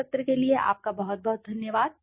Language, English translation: Hindi, Thank you very much for this session